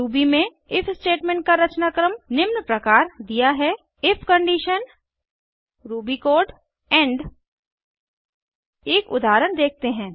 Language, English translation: Hindi, The syntax of the if statement in Ruby is as follows: if condition ruby code end Let us look at an example